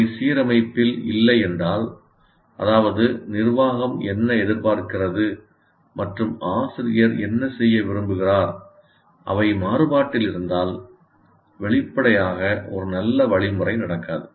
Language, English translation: Tamil, If they are not in alignment, that means what the management expects and what the teacher wants to do, if they are at variance, obviously a good instruction may not take place